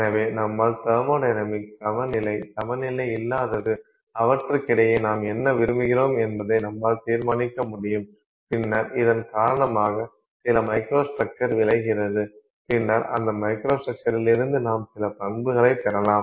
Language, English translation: Tamil, So, you have the thermodynamics, you have equilibrium, you have any related non equilibrium, you can decide what you want between them and then that results in some microstructure and then from that microstructure you get some properties